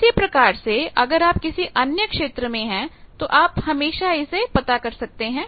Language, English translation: Hindi, So, like that if you are in other regions you can always find that